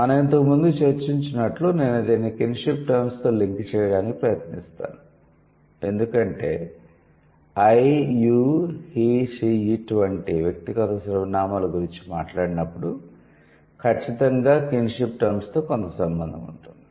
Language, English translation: Telugu, So, I'll try to link it with the kinship terms as we have discussed because when when we say personal pronouns like I, you, he, she, it, so it definitely has certain connection with the kinship terms